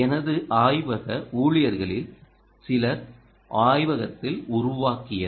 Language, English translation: Tamil, a few of my lab ah staff i have built in the lab